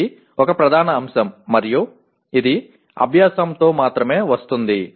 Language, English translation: Telugu, Okay, this is a major aspect and it comes only with the practice